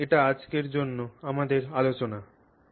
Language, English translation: Bengali, So, that's our discussion for today